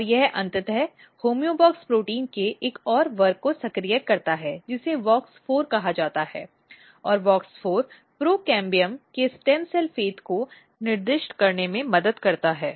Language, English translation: Hindi, And this eventually activate another class of homeobox protein which is called WOX4 and WOX4 basically helps in specifying stem cell fate to the procambium